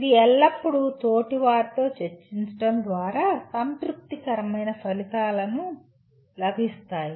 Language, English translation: Telugu, It is always through discussion between peers will lead to coming out with the satisfactory outcomes